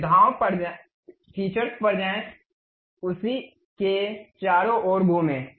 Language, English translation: Hindi, Go to features, revolve around that